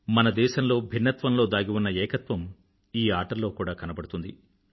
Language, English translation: Telugu, The unity, intrinsic to our country's diversity can be witnessed in these games